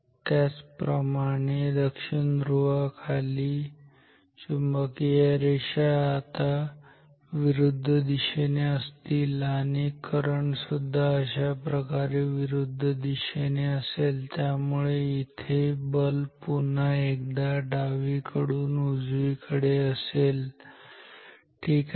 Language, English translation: Marathi, Similarly considered directly below the south pole, flux lines are now in the opposite direction like this current is also in the opposite direction like this and then the force is again from left to right